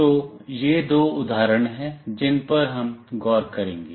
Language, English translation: Hindi, So, these are the two examples that we will look into